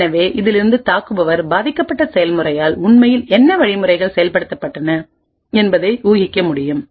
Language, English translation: Tamil, So from this the attacker can infer what instructions were actually executed by the victim process